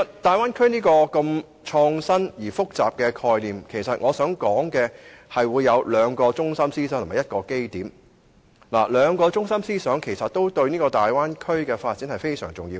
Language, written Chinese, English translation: Cantonese, 大灣區這種創新而複雜的概念包含兩個中心思想及一個基點，兩個中心思想對於大灣區的發展尤為重要。, Innovative yet complex this Bay Area conception actually involves two central principles and one basic premise . The two central principles are of particular importance to the development of the Bay Area